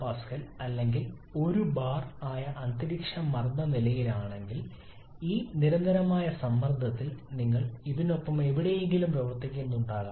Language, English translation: Malayalam, 1 megapascal or 1 bar then at this constant pressure then you may be operating somewhere along this